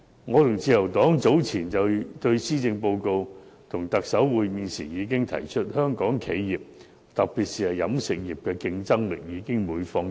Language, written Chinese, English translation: Cantonese, 我和自由黨早前就施政報告與特首會面時已經提出，香港企業特別是飲食業的競爭力已每況愈下。, Earlier when members of the Liberal Party and I met with the Chief Executive on his policy address we pointed out that the competitiveness of Hong Kong enterprises especially those in the catering industry was declining